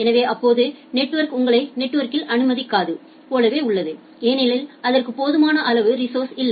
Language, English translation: Tamil, So, it is just like the network is not allowing you to get admitted in the network because it does not have sufficient amount of resources